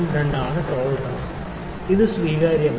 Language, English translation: Malayalam, 02 is the tolerance this is acceptable